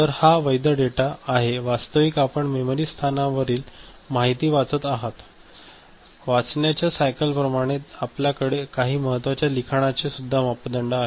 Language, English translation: Marathi, So, this is the valid data where this actually you are reading the information from the memory location right, similar to read cycle we have some of these important parameters right